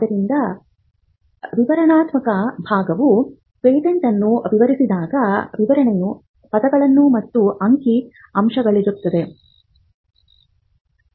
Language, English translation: Kannada, So, the descriptive part, when a patent is described would be in words and figures